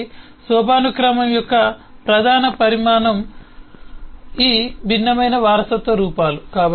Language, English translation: Telugu, so a major consequence of hierarchy is these different forms of inheritance that it results